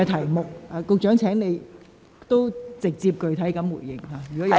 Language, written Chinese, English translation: Cantonese, 如你有補充，請直接並具體地答覆。, If you have anything to add please reply directly and specifically